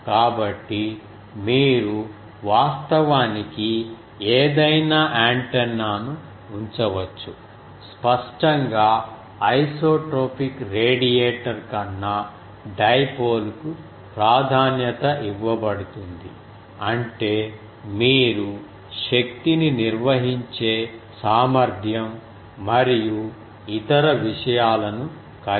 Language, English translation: Telugu, So, you can put any antenna they are actually; obviously, dipole will be preferred to over isotropic radiator in the sense that you will have to have the power handling capability and other things